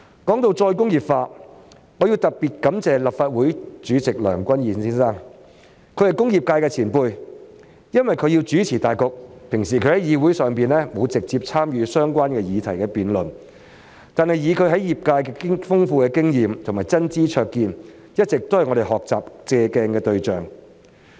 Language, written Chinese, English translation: Cantonese, 說到再工業化，我要特別感謝立法會主席梁君彥議員，他是工業界的前輩，平時由於須主持大局，所以在議會內並沒有直接參與相關議題的辯論，但以他在業界的豐富經驗和真知灼見，一直都是我們學習和借鏡的對象。, When it comes to re - industrialization I wish to extend my special thanks to Mr Andrew LEUNG the President of the Legislative Council . He is a senior member of the industrial sector and due to the need to preside at Council meetings he has not participated directly in our debates on the related issues here but with his ample experiences in the sector as well as his genuine knowledge and keen insights he has always been a role model from whom we can learn and draw reference